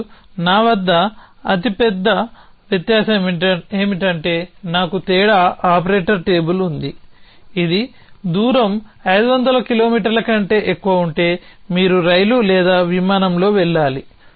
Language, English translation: Telugu, And so the largest difference I me have a difference operator table which would say if distance is more than 500 kilometer you must take a train or of flight